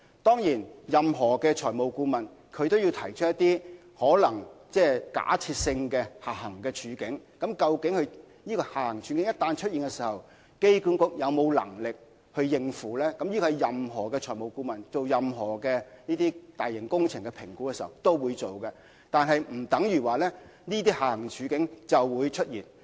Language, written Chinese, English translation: Cantonese, 當然，任何財務顧問都會提出一些有可能出現的假設性下行處境，以評估一旦出現這些處境，機管局有沒有能力應付，這是任何財務顧問就大型工程進行評估時都會提出的，但並不表示這些下行處境一定會出現。, Of course any financial advisors will put forward certain hypothetical downside scenarios to assess whether AA will have the ability to deal with the outcomes once such scenarios occur . Any financial advisors will put forward such scenarios when assessing a major works project but that does not mean downside scenarios are bound to occur